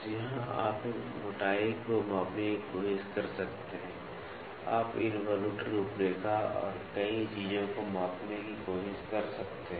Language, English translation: Hindi, So, here you can try to measure the thickness, you can try to measure the involute profile many things